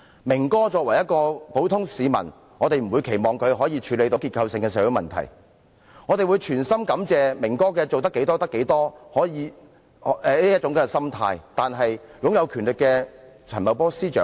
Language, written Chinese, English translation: Cantonese, "明哥"作為一名普通市民，我們不會期望他能處理結構性的社會問題，我們衷心感謝"明哥"盡力而為的心態，但對於擁有權力的陳茂波司長呢？, As Brother Ming is just an ordinary citizen we would not expect him to be able to deal with the structural social problems . We appreciate wholeheartedly his attitude of working to the best of his ability . But what about Secretary Paul CHAN who holds power?